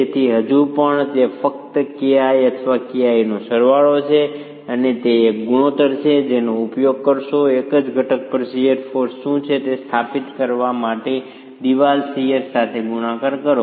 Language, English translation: Gujarati, So, it is simply K I over sum of K I and that is a ratio that you would use multiplied with the wall shear to establish what is the shear force going on to a single component itself